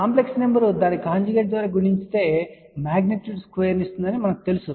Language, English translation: Telugu, We know that complex number multiplied by its conjugate will give the magnitude square